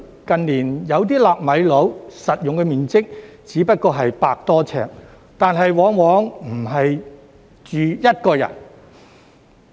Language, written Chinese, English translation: Cantonese, 近年，有些"納米樓"的實用面積只得100多平方呎，但往往不是一個人住。, In recent years some nano - flats have a usable area of only 100 sq ft or so but they are often not for accommodating only one person